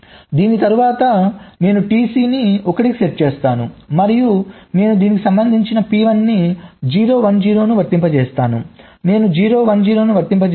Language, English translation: Telugu, after this i set t c to one and i apply this corresponding p i zero, one zero, i apply zero, one zero